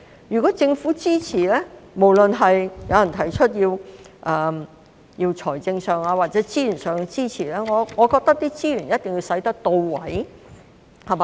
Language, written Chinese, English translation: Cantonese, 如果政府支持，不論是誰提出要有財政或資源上的支持，我覺得資源一定要用得到位。, If the Government is to provide support no matter who requests financial or resource support I think such resources must be used properly